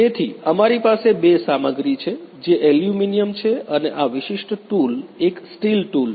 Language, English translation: Gujarati, So, we have two materials which are aluminum and this particular tool is a steel tool